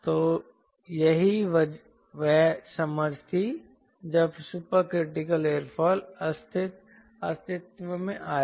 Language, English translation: Hindi, so that was the understanding were super critical aerofoil came into existence